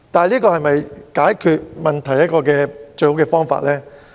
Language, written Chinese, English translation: Cantonese, 這是否解決問題的最好辦法呢？, Is this the best way to resolve the problems?